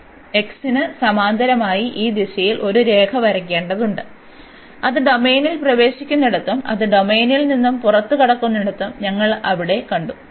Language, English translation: Malayalam, So, we need to draw a line here in the direction of this a parallel to x, and we was see there where it enters the domain and where it exit the domain